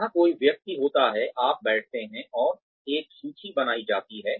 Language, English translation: Hindi, Where a person is, you sit down and a list is made